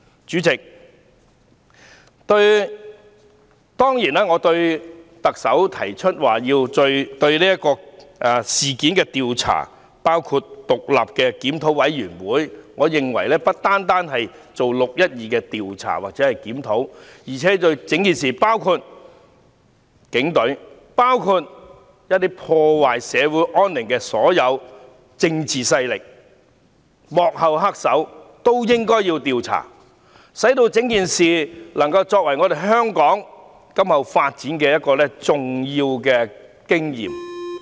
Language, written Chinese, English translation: Cantonese, 主席，當然，特首提出就這事件進行調查，包括成立獨立檢討委員會，我認為不單要就"六一二"進行調查或檢討，而且對各方面，包括警隊、破壞社會安寧的所有政治勢力和幕後黑手，都應該要調查，使整件事件能夠作為香港今後發展重要的經驗。, President certainly as the Chief Executive has put forward proposals including setting up an independent review committee to inquire into the incident I think the inquiry or review should not only cover the 12 June incident but also various aspects including the Police Force all political powers that disrupt the stability and harmony of society and the mastermind behind the scene so that we can learn from the experience of the whole incident . This is vital to the future development of Hong Kong